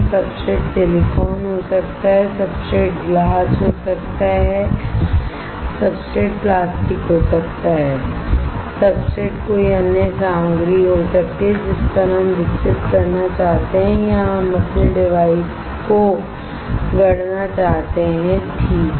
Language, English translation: Hindi, The substrate can be silicon, substrate can be glass, substrate can be plastic, substrate can be any other material on which we want to grow or we want to fabricate our device alright